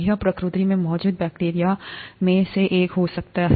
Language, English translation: Hindi, This could be one of the bacteria that is present in nature